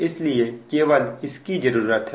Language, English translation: Hindi, so this is actually